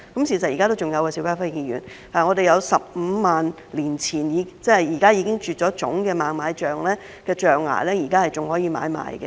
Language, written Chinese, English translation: Cantonese, 邵家輝議員，事實是現在仍然有15萬年前，即現在已經絕種的猛獁象象牙可供買賣。, Mr SHIU Ka - fai in fact ivory from the extinct woolly mammoths dated 150 000 years ago are still available for trade